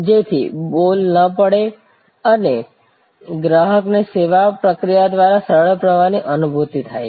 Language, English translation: Gujarati, So, that the ball is not dropped and the customer gets a feeling of a smooth flow through the service process